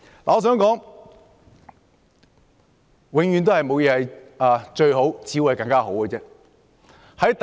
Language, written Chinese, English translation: Cantonese, 我想說，事情永遠沒有最好，只有更好。, I have to say that there is no best only better